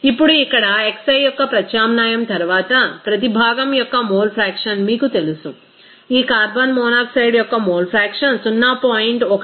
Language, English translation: Telugu, Now after the substitution of xi here again in this you know mole fraction of each component you will see that this mole fraction of component carbon monoxide it will be coming as 0